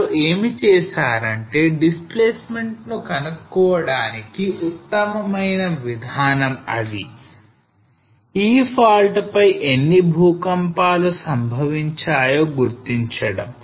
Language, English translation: Telugu, So for this what they did was the best way is to identify that the displacement how many earthquakes took place on this fault